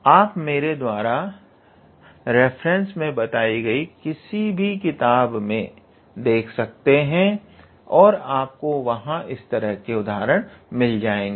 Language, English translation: Hindi, You can look into any book which I put into the references and there you will be able to find these kinds of examples